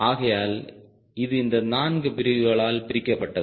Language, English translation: Tamil, so this has been broken up very smartly into these four categories